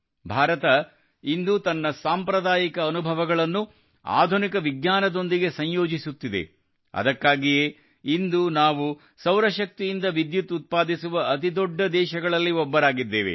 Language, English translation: Kannada, Today, India is combining its traditional experiences with modern science, that is why, today, we have become one of the largest countries to generate electricity from solar energy